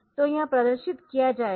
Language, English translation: Hindi, So, this a called display